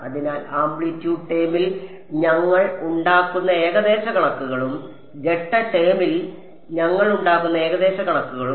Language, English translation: Malayalam, So, the approximations that we make in the amplitude term and the approximations we make in the phase term